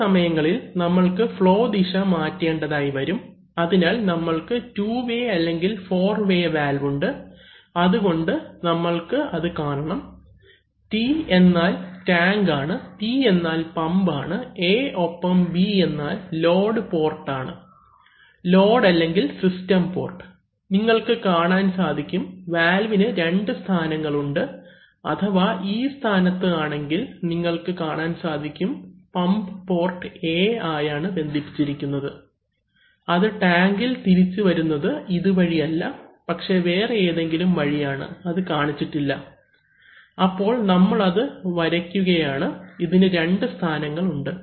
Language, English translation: Malayalam, There are situations where we need to change flow directions, so typically we have two way and four way valves and we must see, so these are, this T means tank, this P means pump and this A and B at the load ports, load or system ports, so now you see that, this valve has two positions okay, so if in this position, you see that the pump is actually connected to the port A, how it is going to come back to the tank is not through this but through some other path which is not shown, so you see that we draw it, there are two positions